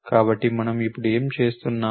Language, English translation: Telugu, So, what are we doing now